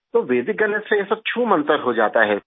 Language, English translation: Hindi, So all this gets dissipates with Vedic maths